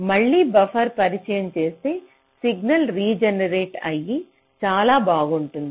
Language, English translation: Telugu, so if i introduce a buffer, buffer again regenerates the signal